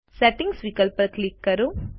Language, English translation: Gujarati, Click on the Settings option